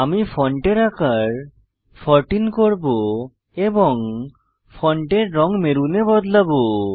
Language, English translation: Bengali, I will increase font size to 14 and change the font color to maroon